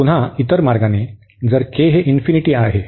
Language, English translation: Marathi, And again in the other way around if this k is infinity here